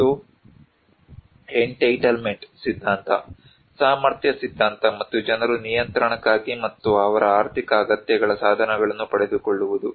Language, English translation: Kannada, And also the entitlement theory, the capacity theory and that the people have for control and to get to secure the means of their economic needs